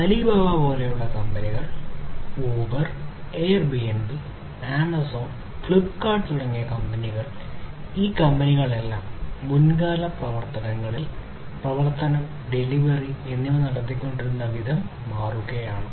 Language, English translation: Malayalam, Companies like Alibaba, companies like Uber, Airbnb, Amazon and Flipkart in India, so all of these companies are basically essentially transforming the way the operations, delivery, etc have been carried on in the past